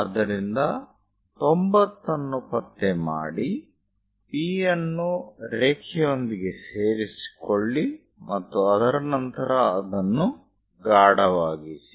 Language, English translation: Kannada, So, locate 90 degrees, join P with line and after that darken it